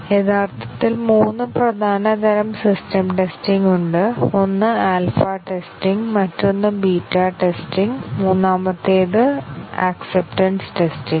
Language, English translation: Malayalam, There are actually three main types of system testing; one is alpha testing, the other is beta testing, and the third is acceptance testing